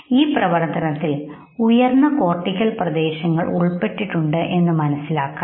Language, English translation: Malayalam, And then you realize that the higher cortical areas are involved